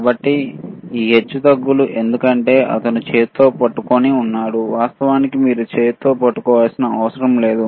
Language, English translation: Telugu, So, this fluctuating because he is holding with hand, in reality you do not have to hold with hand